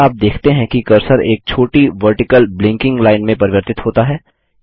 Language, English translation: Hindi, Can you see the cursor has transformed into a small vertical blinking line